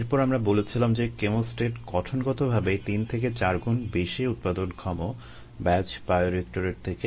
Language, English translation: Bengali, and then we said that a chemostat is inherently three to four times more productive then a batch bioreactor